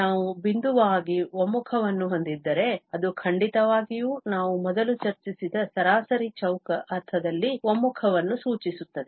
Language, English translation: Kannada, If we have the pointwise convergence, it will definitely imply the convergence in the mean square sense which we have just discussed before